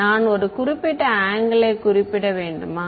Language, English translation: Tamil, Did I have to specify a particular angle